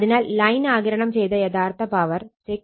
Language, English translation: Malayalam, So, this real power absorbed by line is 695